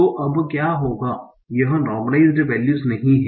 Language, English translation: Hindi, Now this is not normalized values